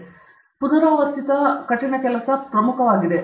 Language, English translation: Kannada, Oft repeated hard work is the key